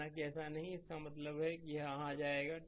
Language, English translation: Hindi, Suppose it is not there so; that means, this will come here